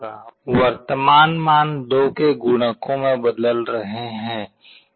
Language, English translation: Hindi, The current values will be changing in multiples of 2